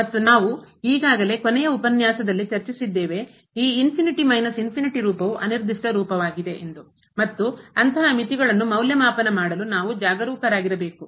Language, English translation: Kannada, And we have already discussed in the last lecture that this infinity minus infinity form is an indeterminate form and we have to be careful to evaluate such limits